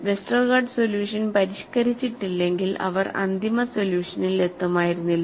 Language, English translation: Malayalam, Unless Westergaard solution is modified, they would not have arrived at the final solution